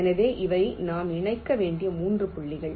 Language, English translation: Tamil, so these are the three points i have to connect